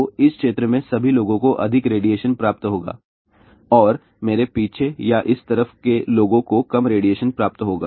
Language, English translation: Hindi, So, all the people in this particular area will receive more radiation and people behind me or in this side will receive lesser radiation